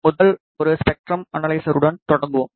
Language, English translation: Tamil, Let us start with the first one spectrum analyzer